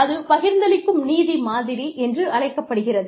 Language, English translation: Tamil, One is called, the distributive justice model